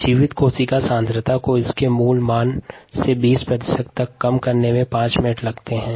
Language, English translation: Hindi, it takes five minutes for the viable cell concentration to reduce to twenty percent of it's original value